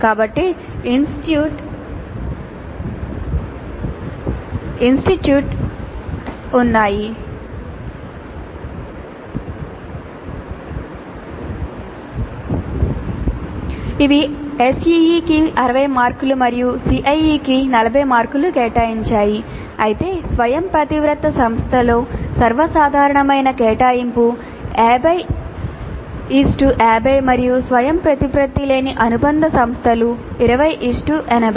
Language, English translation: Telugu, So there are institutes autonomous which allocate 60 marks to a CE and 40 to CAE but a more common allocation in autonomous institute is 50 50 50 and non autonomous affiliated institutes is 2080